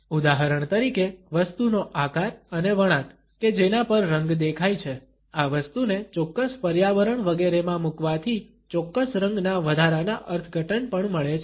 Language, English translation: Gujarati, For example, the shape and the texture of the object on which the color is seen, the placing of this object in a particular environment etcetera also provide additional interpretations of a particular color